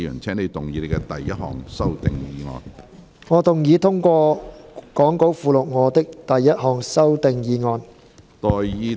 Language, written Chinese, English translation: Cantonese, 主席，我動議通過講稿附錄我的第一項修訂議案。, President I move that my first amending motion as set out in the Appendix to the Script be passed